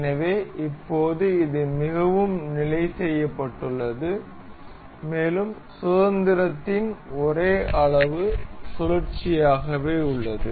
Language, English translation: Tamil, So, now, this is very well fixed, and the only degree of freedom remains the rotation